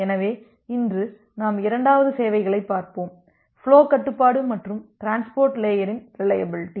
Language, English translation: Tamil, So, today we look into the second services which is the flow control and the reliability in transport layer